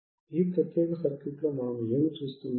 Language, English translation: Telugu, What we can see in this particular circuit